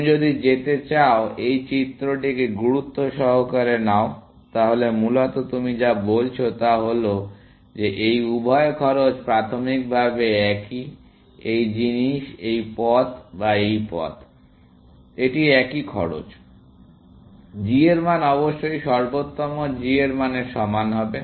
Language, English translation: Bengali, If you go, take this figure seriously, then essentially, what you are saying is that both these costs are initially of the same, this thing, whether this path or this path, it is the same cost; g value must equal to the optimal g value